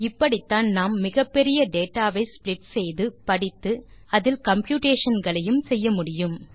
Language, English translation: Tamil, This is how we split and read such a huge data and perform computations on it